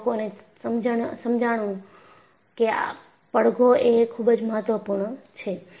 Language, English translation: Gujarati, Then people realized resonance is very important